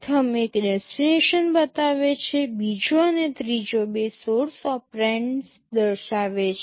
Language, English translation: Gujarati, The first one represents the destination, the second and third indicates the two source operands